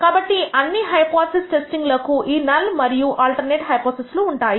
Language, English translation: Telugu, So, all hypothesis testing has this null and alternative